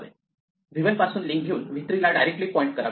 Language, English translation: Marathi, So, we take the link from v 1 and make it directly point to v 3